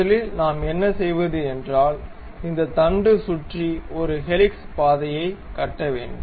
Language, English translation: Tamil, So, first for that what we do is we construct a helix around this shaft